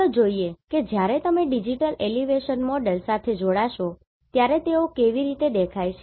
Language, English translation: Gujarati, So, let us see how they appear when you join them with the digital elevation model